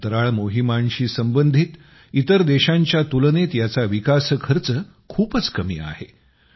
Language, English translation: Marathi, Its development cost is much less than the cost incurred by other countries involved in space missions